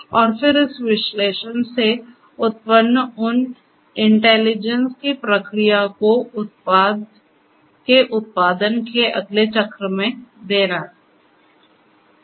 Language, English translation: Hindi, And, then feedback those intelligence those insights generated from this analytic analysis to the next cycle of the product that is being manufactured